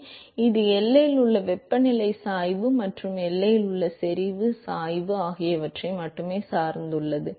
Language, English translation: Tamil, And this depends only on the temperature gradient at the boundary, and the concentration gradient at the boundary